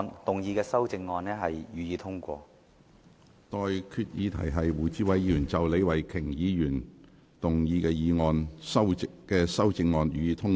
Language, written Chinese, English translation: Cantonese, 我現在向各位提出的待議議題是：胡志偉議員就李慧琼議員議案動議的修正案，予以通過。, I now propose the question to you and that is That the amendment moved by Mr WU Chi - wai to Ms Starry LEEs motion be passed